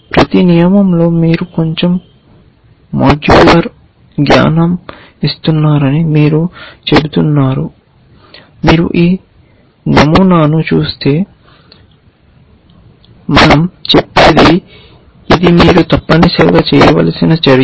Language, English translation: Telugu, You are simply saying in each rule you are giving a little bit of modular piece of knowledge we say if you see this pattern then this is the action that you have to do with it essentially